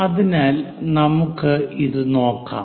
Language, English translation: Malayalam, So, let us look at this